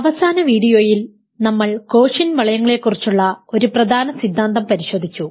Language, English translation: Malayalam, In the last video we looked at an important theorem about quotient rings